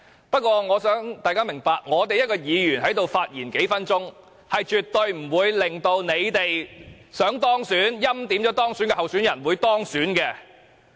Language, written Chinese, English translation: Cantonese, 不過，我也想大家明白，議員在此發言短短數分鐘，是絕對不會令到他們欽點的候選人不能夠當選的。, Nonetheless I hope Members will understand that by giving a speech of just a few minutes it is absolutely impossible for a preordained candidate not to be elected